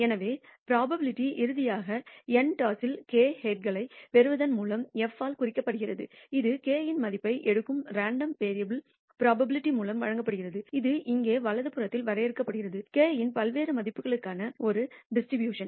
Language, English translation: Tamil, So, the probability nally, of receiving k heads in n tosses which is denoted by f the random variable taking the value k is given by the probability, which is defined on the right hand side here, this distribution for various values of k